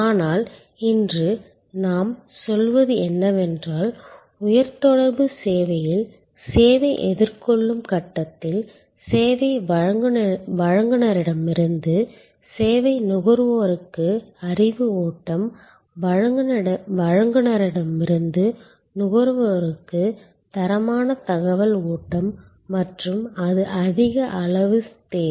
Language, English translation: Tamil, But, what we are saying today is that in the service encountered stage in the high contact service, there is a higher level of need for knowledge flow from the service provider to the service consumer, quality information flow from the provider to the consumer and it has to be at right points of time